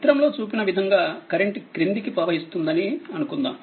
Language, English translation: Telugu, Suppose that current flows downwards as shown in this figure, in this figure right